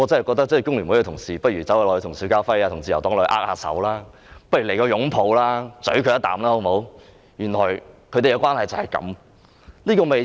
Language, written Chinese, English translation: Cantonese, 工聯會的同事不如跟邵家輝議員和自由黨握握手，來個互相擁抱親吻，原來他們的關係就是這樣。, Colleagues from FTU might as well shake hands with Mr SHIU Ka - fai and representatives of the Liberal Party or even embrace and kiss each other . Now I see their real relationship